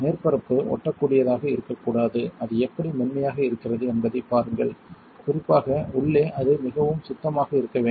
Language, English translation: Tamil, The surface should not be sticky see how it is really smooth, inside in particular it should be pretty clean